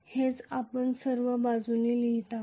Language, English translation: Marathi, That is what we are writing all along